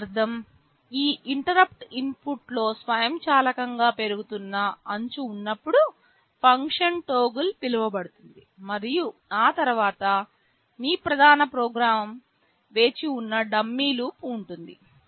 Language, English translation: Telugu, This means whenever there is a rising edge on that interrupt input automatically the function toggle will get called, and after that there is a dummy loop where your main program is waiting